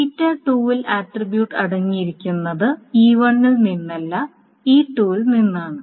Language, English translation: Malayalam, So it doesn't contain any attribute from E1